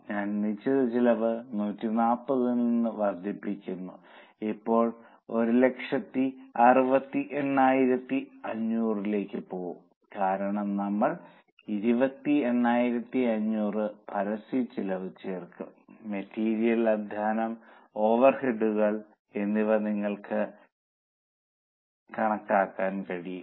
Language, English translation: Malayalam, I will increase the fixed cost from 140 will now go to 168 500 because we will add advertising expense of 28,500